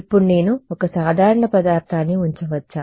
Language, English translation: Telugu, Now can I put an ordinary material